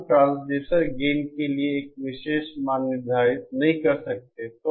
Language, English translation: Hindi, We cannot set a particular gain for the, a particular value for the transducer gain